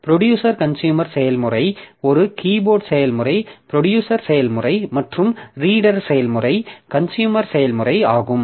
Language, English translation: Tamil, The keyboard process is the producer process and the reader process is the consumer process